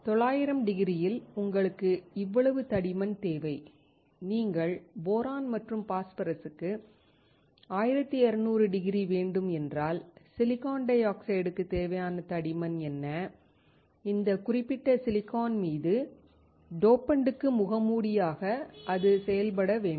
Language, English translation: Tamil, At 900 degree, you need this much thickness and if you want to have 1200 degree for boron and phosphorus, what is the thickness that is required for the silicon dioxide, on this particular silicon to act as a mask for the dopant